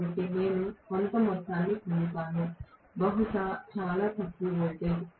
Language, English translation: Telugu, So, I will be getting some amount of, maybe very meagre amount of residual voltage